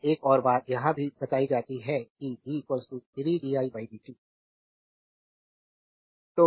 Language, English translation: Hindi, Now also another thing is given that v is equal to 3 di by dt